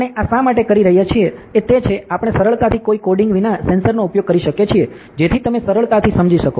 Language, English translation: Gujarati, Why we are doing this is the, we can easily use the sensor without much coding, so that you can easily understand ok